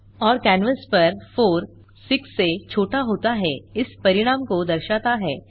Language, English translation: Hindi, and has displayed the result 4 is smaller than 6 on the canvas